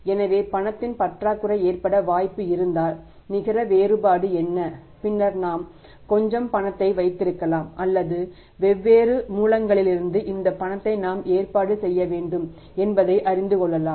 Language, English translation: Tamil, So what is a net difference if there is a possibility of shortage of the cash then we can keep some cash or we can be aware about that we have to arrange this much of the cash from the different sources